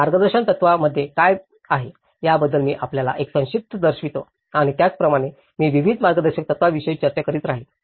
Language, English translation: Marathi, I will show you a brief about what is there in the guidelines and like that, I will keep discussing about various guidelines